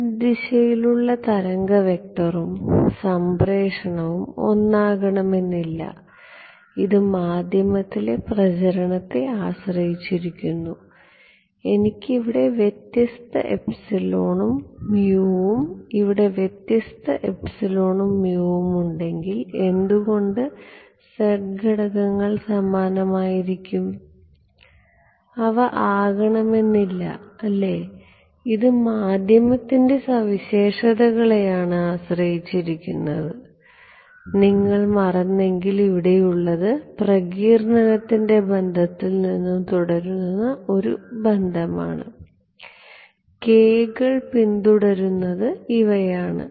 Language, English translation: Malayalam, The wave vector and transmission along the z direction will not be the same right, it depends on the propagation in the medium, if I have different epsilon mu here and different epsilon mu here, why will the z components be the same, they may not be right, it depends on the medium properties and in case you forgot this was the relation followed by the dispersion relation over here, this is what these k’s are following right